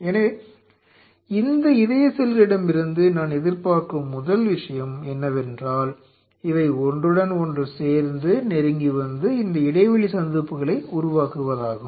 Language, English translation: Tamil, So, the first thing what I anticipate for these cardiac cells to join with each other coming close and form those gap junctions